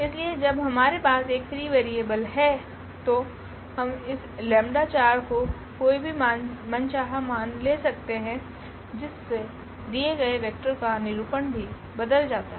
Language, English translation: Hindi, So, when we have a free variable we can assign any value we want to this lambda 4 and then our representation of this given vector will also change